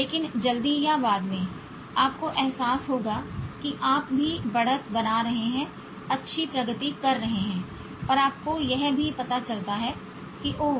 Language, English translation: Hindi, But sooner or later you will realize that you also is making headway, making good progress and you also realize that it's nothing to do with smartness